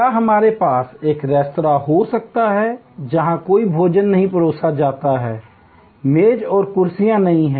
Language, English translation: Hindi, Can we have a restaurant, where no food is served, there are no tables and chairs